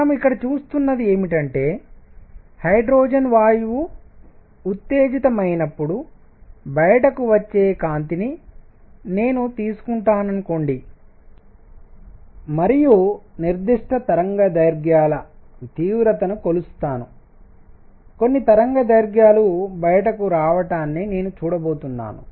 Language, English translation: Telugu, So, what we are seeing here is that suppose, I take the light coming out of hydrogen gas when it is excited and measure the intensity of particular wavelengths, I am going to see certain wavelengths coming out